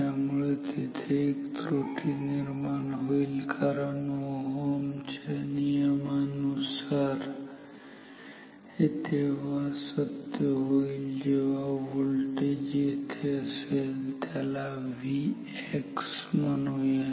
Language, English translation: Marathi, So, there is an error because according to Ohm’s law R X is I mean this is true only if this voltage is the voltage here across this; call it V x ok